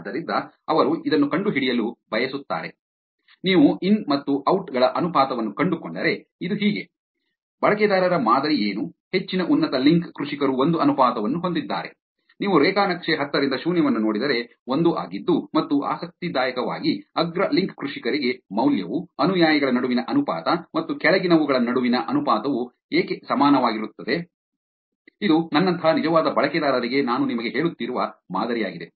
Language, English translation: Kannada, So, this is what they want to find out which is, if you find the ratio of in verses out, how is this; what is the pattern of the users; most of the top link farmers have a ratio near to 1, if you look at the graph 10 to the 0 is 1 and interestingly, the value for the top link farmers, why is the ratio between followers and the followings is equal to 1, which is the pattern that I was telling you for real users like mine